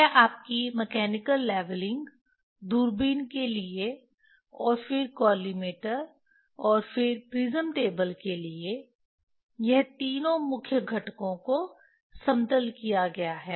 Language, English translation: Hindi, That is then your mechanical leveling for the telescope, and then collimator, and then prism table, all these three main components is done